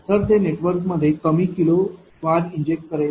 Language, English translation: Marathi, So, it will inject less kilo bar into the network